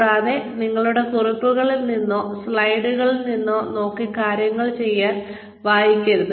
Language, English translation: Malayalam, And, do not read things from them from your notes or, from your slides